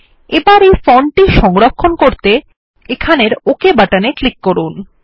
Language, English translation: Bengali, And let us save the font, by clicking on the Ok button here